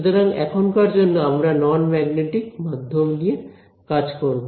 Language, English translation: Bengali, So, we will deal with non magnetic media for now ok